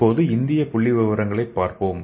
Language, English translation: Tamil, So let us see the statistics in India